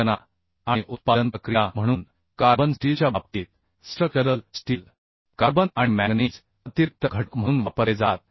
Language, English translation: Marathi, So, in case of carbon steel, uhh the structural steel, carbon and manganese are used as extra element